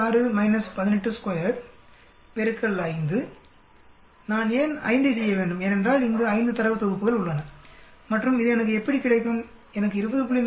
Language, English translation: Tamil, 6 minus 18, square multiplied by 5 why do I need to do 5, because there 5 data sets here and this one how do I get I get 20